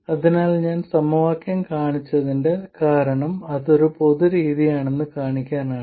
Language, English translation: Malayalam, So the reason I showed the equations is to show that it is a general method